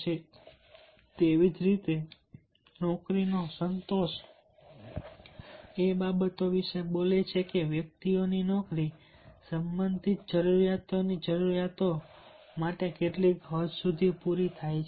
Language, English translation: Gujarati, and similarly, job satisfaction speaks about the that what extent the needs of the job related needs of the individuals are met